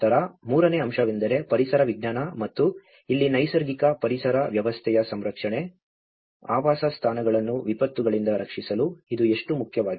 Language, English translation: Kannada, Then, the third aspect is the ecology and this is where the conservation of the natural ecosystem, how important is it, in order to protect the habitats from the disasters